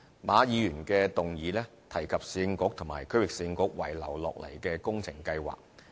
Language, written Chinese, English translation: Cantonese, 馬議員的議案提及市政局和區域市政局遺留下來的工程計劃。, Mr MA talked about outstanding projects of the former Urban Council and Regional Council in his motion